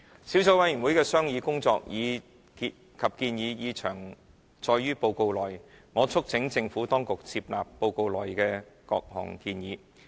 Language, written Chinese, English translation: Cantonese, 小組委員會的商議工作及建議已詳載於報告內，我促請政府當局接納報告內的各項建議。, The deliberation and recommendations of the Subcommittee are set out in detail in the report . I urge the Administration to take on board those recommendations